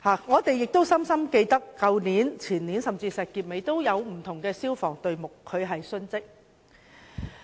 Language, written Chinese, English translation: Cantonese, 我們亦深刻記得，去年、前年，甚至是在石硤尾火災中，也有消防隊目殉職。, It is deep in our memory that Senior Firemen were killed last year the year before and in the fire in Shek Kip Mei